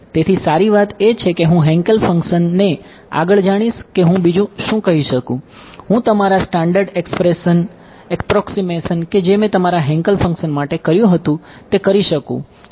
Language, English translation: Gujarati, So, the good part is I know the Hankel function further what else can I say, I can make all the standard approximations that I had done for your Hankel function which is what that H naught 2 k rho right